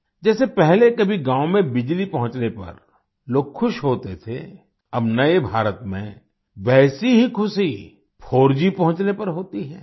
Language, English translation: Hindi, Like, earlier people used to be happy when electricity reached the village; now, in new India, the same happiness is felt when 4G reaches there